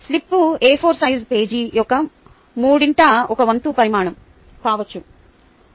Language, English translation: Telugu, the slips may be ah, about one third the size of an a four size page